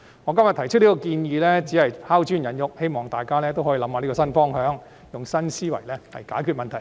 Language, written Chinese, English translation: Cantonese, 我今天提出這項建議，只是拋磚引玉，希望大家可以思考這個新方向，用新思維來解決問題。, I have made this proposal today purely for the sake of arousing more views and discussions . I hope Honourable colleagues can give this new approach some thought and solve the problems by thinking out of the box